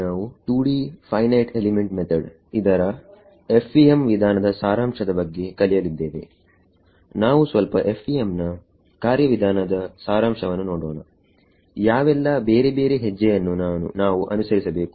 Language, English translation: Kannada, Let us look at the Summary of the FEM Procedure, what are the various steps that we have to do